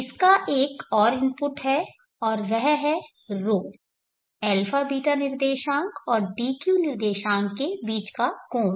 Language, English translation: Hindi, is nothing but the angle between the a beeta coordinate and the dq coordinate